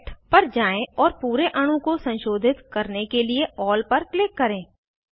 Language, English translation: Hindi, Go to Select and click on All to modify the whole molecule